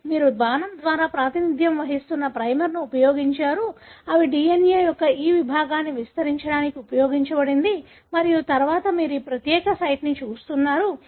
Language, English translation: Telugu, So, you have used a primer as represented by an arrow, that are used for amplifying this segment of the DNA and then, you are looking at this particular site